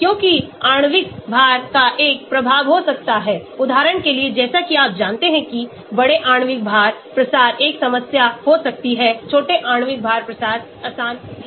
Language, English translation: Hindi, Because the molecular weight may have an effect for example, as you know large molecular weight diffusion may be a problem small molecular weight diffusion is easy